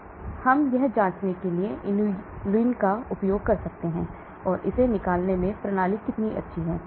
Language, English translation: Hindi, So we can use inulin to check how good the system is in excreting it